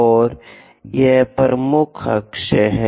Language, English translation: Hindi, And this is the major axis